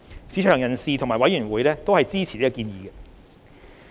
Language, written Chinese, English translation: Cantonese, 市場人士及委員會均支持建議。, Both the market and the Panel supported it